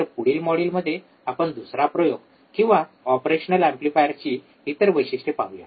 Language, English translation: Marathi, So, in the next module, we will see another experiment, or another characteristics of an operational amplifier